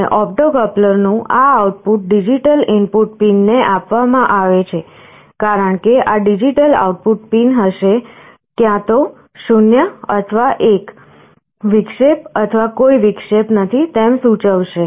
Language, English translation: Gujarati, And this output of the opto coupler is fed to digital input pin default, because this will be a digital output, either 0 or 1, indicating an interruption or no interruption